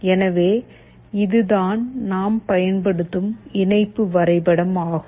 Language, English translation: Tamil, So, this is the connection diagram that we will be using